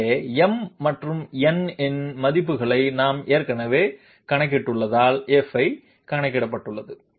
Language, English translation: Tamil, So F has been computed as we are already as we have already calculated the values of m and n